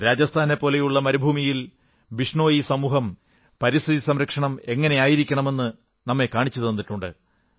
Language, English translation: Malayalam, TheBishnoi community in the desert land of Rajasthan has shown us a way of environment protection